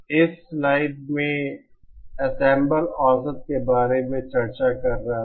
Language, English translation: Hindi, This slide I was discussing about an ensemble average